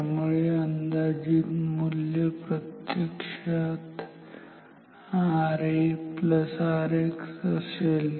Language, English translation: Marathi, So, estimated value will be actually R A plus R X